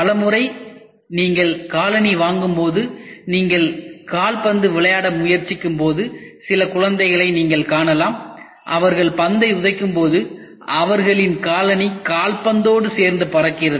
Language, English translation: Tamil, Many a times when you buy shoe and when you are trying to play games football, you can see some of the child children, When they are kicking, their shoe the football the shoe just flies off